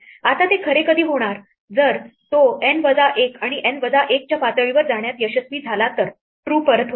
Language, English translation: Marathi, Now, when would it be true; if it succeeded in going all the way to level N minus 1 and N minus 1 returns true